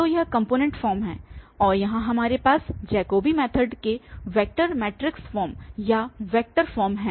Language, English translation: Hindi, So, this is the component form and here we have the vector form of the or vector matrix form of the Jacobi method